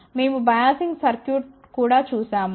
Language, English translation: Telugu, We had also seen the biasing circuit